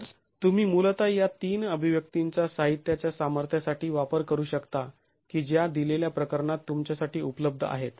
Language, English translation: Marathi, So, you basically can use these three expressions for the material strengths available to you for a given case